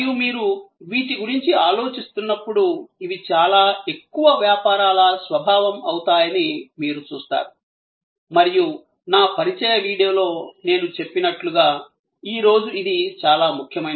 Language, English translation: Telugu, And as you think about these, you will see that more and more, these will be the nature of most businesses and as I mentioned in my introductory video, this is very important today